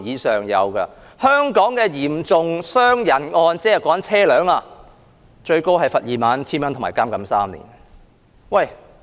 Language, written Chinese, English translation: Cantonese, 在香港，導致嚴重傷人的交通意外，最高可判罰款 21,000 元及監禁3年。, In Hong Kong traffic accidents causing serious injuries are liable to a maximum fine of 21,000 and up to three years imprisonment